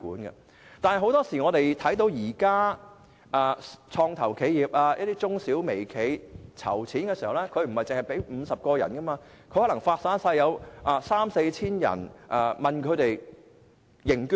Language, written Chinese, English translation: Cantonese, 不過，很多創投企業、中小微企籌款時，對象不止50人，而是向三四千人認捐。, Nevertheless start - up companies SMEs and micro - enterprises are likely to have 3 000 or 4 000 funders instead of 50